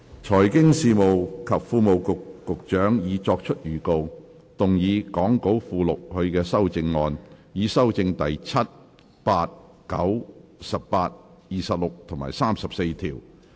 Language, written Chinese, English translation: Cantonese, 財經事務及庫務局局長已作出預告，動議講稿附錄他的修正案，以修正第7、8、9、18、26及34條。, The Secretary for Financial Services and the Treasury has given notice to move his amendments to amend clauses 7 8 9 18 26 and 34 as set out in the Appendix to the Script